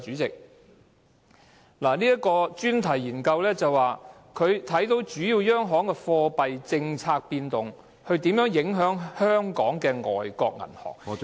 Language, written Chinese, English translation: Cantonese, 這項專題研究談及主要央行的貨幣政策變動如何影響香港的外國銀行......, The topical study mentioned how changes of monetary policies in major central banks would affect foreign banks in Hong Kong